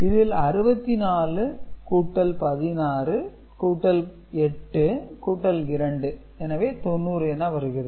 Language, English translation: Tamil, So, this is your 32 plus 16 that is 48 and this is your 2 that is 50 right